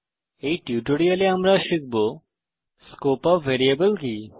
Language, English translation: Bengali, In this tutorial we will learn, What is the Scope of variable